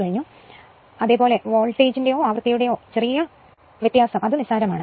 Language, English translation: Malayalam, So, generally variation of voltage or frequency is negligible